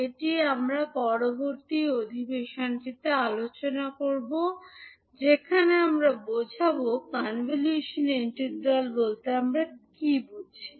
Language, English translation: Bengali, So, this we will analyze when we'll discuss about convolution integral